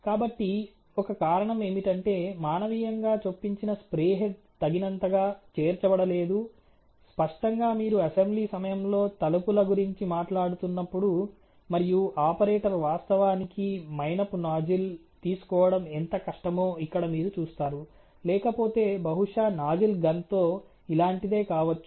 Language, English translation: Telugu, So, one of them is that the manually inserted spray head is not inserted enough; obviously, when you are talking about doors of assembly, and you see here how difficult it is for the operator to actually take a wax nozzles, which may be otherwise you know something like this with a probably a nozzle gun